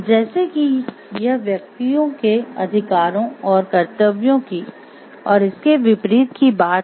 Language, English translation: Hindi, So, as it is talking of the individuals rights and individuals duties and vice versa